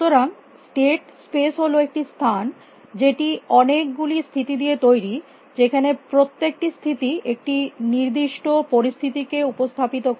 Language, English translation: Bengali, So, the state space is a space in which made up of many states where each state represent the particular situation